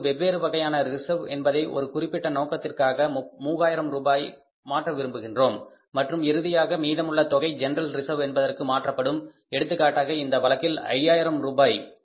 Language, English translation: Tamil, We want to transfer 3,000 rupees for that and then finally is to transfer to general reserve and remaining amount will be transferred to the general reserve that amount is say for example in this case is 5,000 rupees